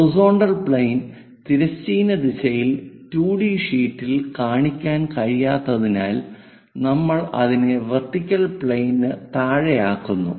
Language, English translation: Malayalam, Because we cannot show horizontal plane in the horizontal direction of a 2D sheet we make it below that vertical plane